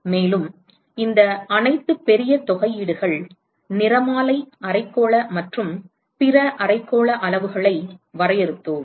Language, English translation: Tamil, And, then we defined the all this huge integrals spectral hemispherical etcetera hemispherical quantities